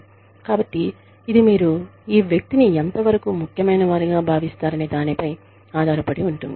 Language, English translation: Telugu, So, it just depends on the extent to which, you consider this person, important